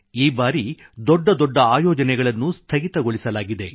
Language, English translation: Kannada, this time all grand events have been curtailed